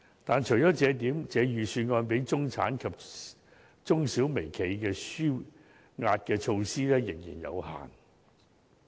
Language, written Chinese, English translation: Cantonese, 但是，除了這一點，這份預算案對中產及中小微企的紓壓措施卻仍然有限。, However apart from this the Budget fails to introduce adequate measures to alleviate the pressure of the middle class SMEs and micro - enterprises